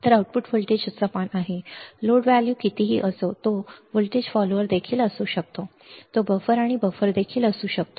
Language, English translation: Marathi, So, the output voltage is same no matter what is the load value it can be also a voltage follower it can be also a buffer and also a buffer